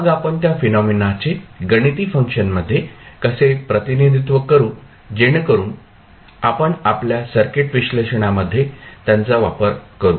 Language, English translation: Marathi, Then we will see how we can equivalently represent that event also into the mathematical function so that we can use them in our circuit analysis